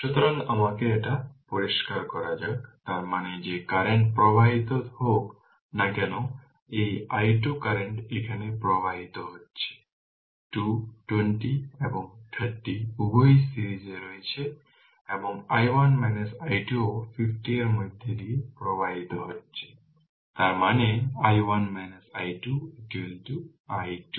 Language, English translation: Bengali, So, let me clear it; that means, whatever current is flowing your this i 2 current is flowing here right 2 20 and 30 both are in series and i 1 minus i 2 also flowing through 50; that means, i 1 minus i 2 is equal to i 2